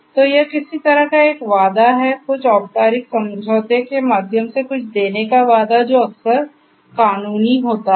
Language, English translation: Hindi, So, it is some kind of a promise; promise of delivering something through some formal agreement which is often legal in nature